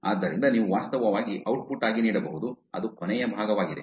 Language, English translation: Kannada, So you can actually make that output, that's the last part